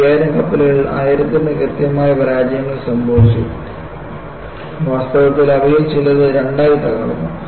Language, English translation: Malayalam, Of the 5000 ships, thousand suffered significant failures, and in fact, some of them broke into 2